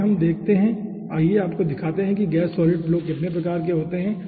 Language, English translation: Hindi, okay, next let we see, let us show you that what are the different types of gas solid flow we see in industry